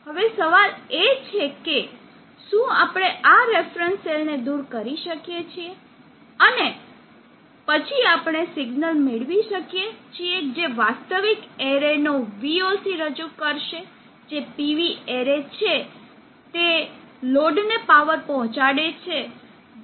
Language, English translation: Gujarati, Now the question is can we eliminate this reference cell and then can we get a signal which will represent the VOC of the actual array which is PV array which is delivering power to the load